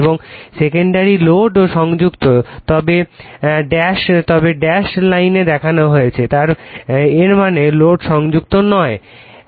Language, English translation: Bengali, And in the secondary load is also connected, but shown in dash line; that means, load is not connected